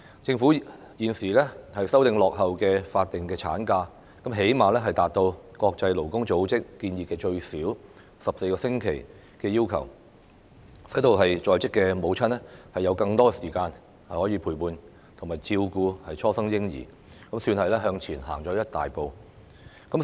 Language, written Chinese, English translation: Cantonese, 政府現時修訂落後的法定產假，最低限度達至國際勞工組織建議最少14個星期的要求，使在職母親有更多時間陪伴和照顧初生嬰兒，可算是向前走了一大步。, The Governments current amendment to the outpaced statutory ML has met at least the minimum requirement of 14 weeks recommended by ILO thus affording working mothers more time to accompany and care for their newborn babies . This is arguably a big step forward